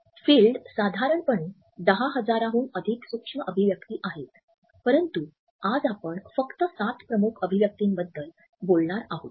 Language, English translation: Marathi, Field, there are over 10,000 micro expressions, but today we are only going to be talking about the seven major ones